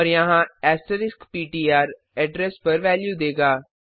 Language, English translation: Hindi, And here asterisk ptr will give the value at the address